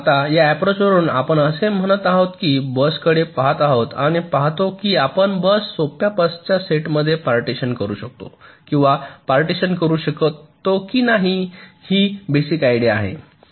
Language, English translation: Marathi, now, in this approach, what we are saying is that we are looking at the buses, look at a bus and see whether we can split or partition a bus into a set up simpler buses